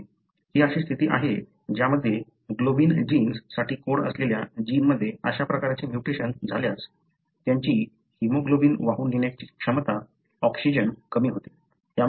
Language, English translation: Marathi, This is a condition, wherein, the individual having this kind of a mutation in a gene that codes for the globin genes, what happen is their capacity to carry hemoglobin, the oxygengoes down